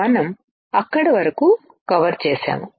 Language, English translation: Telugu, We have covered till there